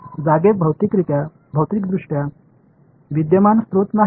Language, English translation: Marathi, There are not physically current sources sitting in space